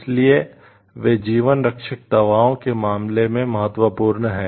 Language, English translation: Hindi, So, these are important in case of life saving drugs